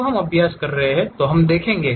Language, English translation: Hindi, When we are practicing we will see